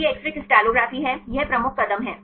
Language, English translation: Hindi, So, this is X ray crystallography; this is the major steps